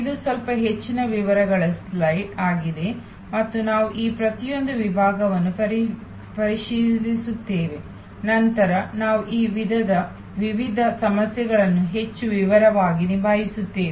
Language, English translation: Kannada, This is a little more details slide and we will actually look into each one of these segments, that as we tackle these various issues more in detail later on